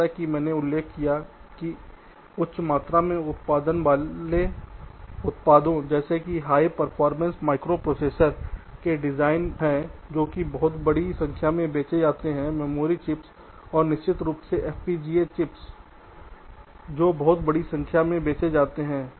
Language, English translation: Hindi, exceptions, as i mentioned, are the design of high volume products such as high performance microprocessors, which are expected to sold in plenty, memory chips and of course fpga chips, which are also sold in very large numbers